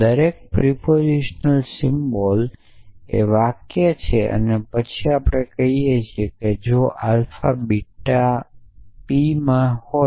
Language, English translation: Gujarati, So, every propositional symbol is the sentence and then we say that if alpha beta belong to p